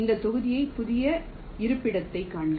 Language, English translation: Tamil, see this block and also the new location